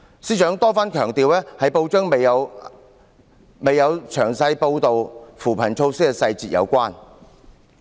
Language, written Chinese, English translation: Cantonese, 司長多番強調，這與報章未有詳細報道扶貧措施的細節有關。, He repeatedly stressed that this was related to the fact that the newspaper did not report the details of the poverty alleviation measures